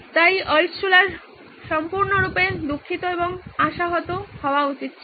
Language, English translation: Bengali, So Altshuller should have been totally crestfallen